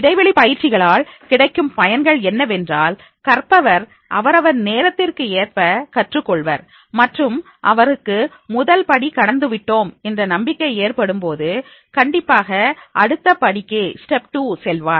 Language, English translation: Tamil, The benefit of the space practices is this, that is the learner takes his own time to learn and when he is having the confidence that he has the step one he has crossed and learned, then definitely he will go further the step two